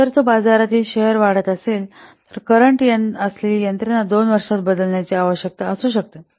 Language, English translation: Marathi, If it's a market share increases, then the existing system might need to be replaced within two years